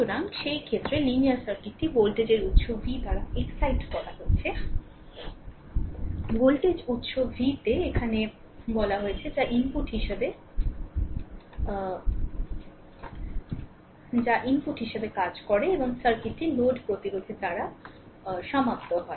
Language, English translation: Bengali, So, in this case the linear circuit is excited by voltage source v, I told you here in voltage source v which serves as the input and the circuit is a terminated by load resistance R